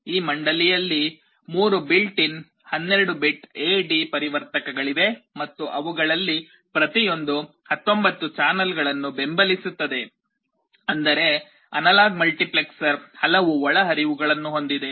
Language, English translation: Kannada, In this board there are 3 built in 12 bit A/D converters and each of them can support up to 19 channels; that means, the analog multiplexer has so many inputs